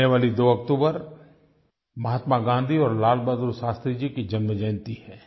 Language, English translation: Hindi, 2nd October is the birth anniversary of Mahatma Gandhi and Lal Bahadur Shastri Ji